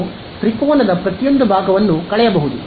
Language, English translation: Kannada, So, you can subtract each of a triangle